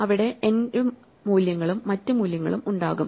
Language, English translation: Malayalam, There will be my values and there will be other values